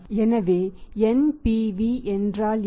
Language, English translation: Tamil, So what is NPV